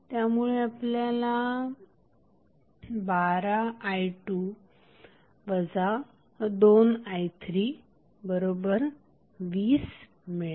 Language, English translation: Marathi, You will get the 18 of i 2 minus 6i 3